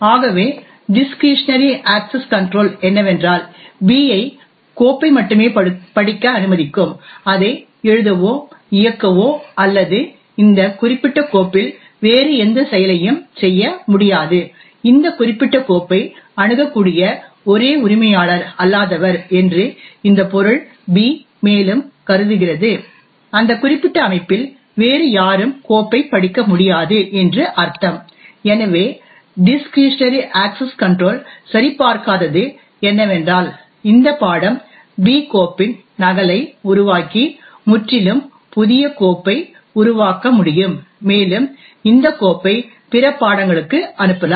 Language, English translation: Tamil, So what discretionary access control would permit is that B can only read to the file, it cannot write or execute or do any other operation on this particular file, further assuming that this subject B is the only non owner who has access to this particular file, it would mean that no one else in that particular system would be able to read the file, so what discretionary access control does not check is that this subject B could make a copy of the file and create a totally new file and this file can be then pass on to other subjects